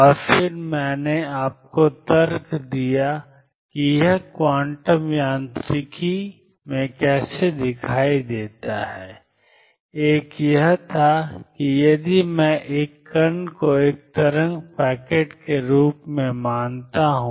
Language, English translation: Hindi, And then I gave you arguments about how it appears in quantum mechanics, one was that if I consider a particle as a wave packet